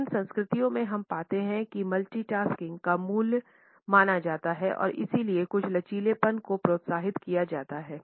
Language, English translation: Hindi, In these cultures we find that multitasking is considered as a value and therefore, a certain flexibility is encouraged